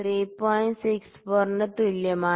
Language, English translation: Malayalam, 64 is equal to 3